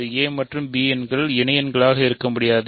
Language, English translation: Tamil, So, a and b cannot be associates